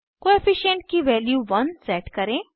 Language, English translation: Hindi, Set the Co efficient value to one